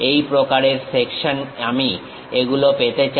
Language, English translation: Bengali, This kind of section I would like to have it